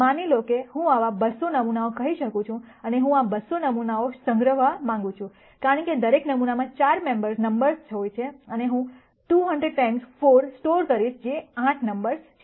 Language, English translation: Gujarati, Supposing, I have let us say 200 such samples and I want to store these 200 samples since each sample has 4 numbers, I would be storing 200 times 4 which is 8 numbers